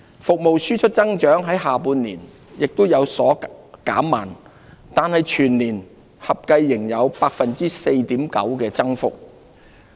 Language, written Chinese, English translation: Cantonese, 服務輸出增長在下半年亦有所減慢，但全年合計仍然有 4.9% 的增幅。, Exports of services also moderated in the latter half of the year though an overall growth of 4.9 % was recorded for 2018